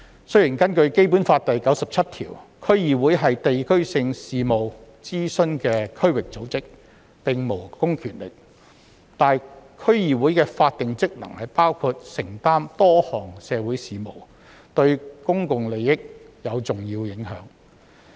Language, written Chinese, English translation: Cantonese, 雖然根據《基本法》第九十七條，區議會是接受地區性事務的諮詢的區域組織，並無公權力，但區議會的法定職能包括承擔多項社區事務，對公眾利益有重要影響。, Although DCs are district organizations to be consulted on district affairs according to Article 97 of the Basic Law and do not possess public powers their statutory functions include undertaking a number of activities within the districts and their functions are of public interest importance